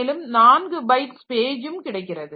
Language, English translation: Tamil, So, each page is of 4 byte